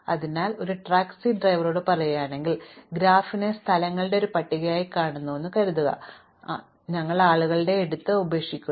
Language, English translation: Malayalam, So, supposing we are looking at say at a taxi driver and we are looking at the graph as a list of places, where he picks up and drop off people